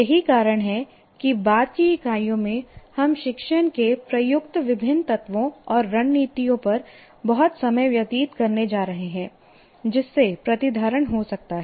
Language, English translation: Hindi, That's why in the later units we are going to spend a lot of time on various elements and strategies used in teaching that can lead to retention